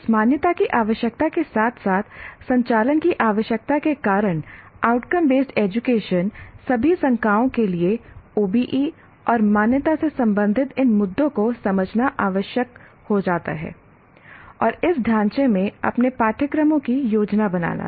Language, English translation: Hindi, Now because of this accreditation requirement as well as requirement of operating within outcome based education, it becomes necessary for all faculty to understand these issues related to OBE and accreditation and what do you call, plan and conduct their courses in this framework